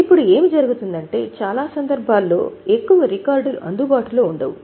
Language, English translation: Telugu, Now what happens is in many cases there are no much records available